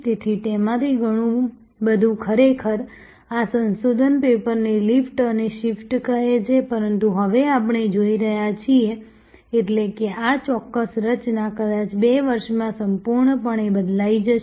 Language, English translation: Gujarati, So, a lot of that was actually this research paper has called lift and shift, but what we are now seeing; that means, this particular composition will perhaps totally change in 2 years time